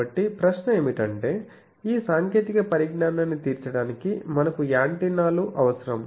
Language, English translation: Telugu, So, question is that to have this cater to this technology we need antennas